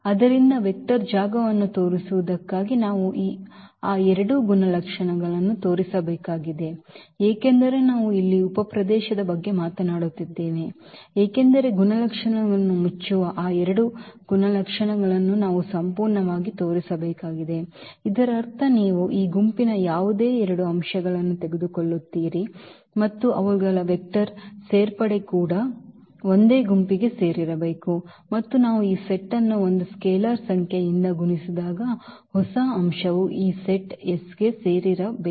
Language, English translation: Kannada, So, for showing the vector space we need to show those two properties because we are talking about the subspace here we need to absolutely show those two properties that closure properties; that means, you take any two elements of this set and their vector addition should also belong to the same set and also when we multiply this set by a number a scalar number that the new element should also belong to this set S